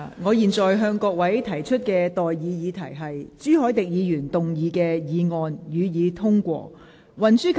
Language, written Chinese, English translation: Cantonese, 我現在向各位提出的待議議題是：朱凱廸議員動議的議案，予以通過。, I now propose the question to you and that is That the motion moved by Mr CHU Hoi - dick be passed